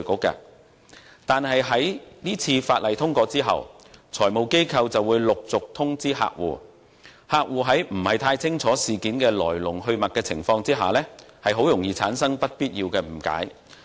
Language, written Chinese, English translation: Cantonese, 不過，在《條例草案》獲通過後，財務機構便會陸續通知客戶，而客戶在不太清楚來龍去脈的情況下，很容易會產生不必要的誤解。, Nonetheless after the passage of the Bill FIs will progressively advise their clients of this arrangement and unnecessary misunderstanding may arise easily if their clients are not quite clear about the ins and outs of it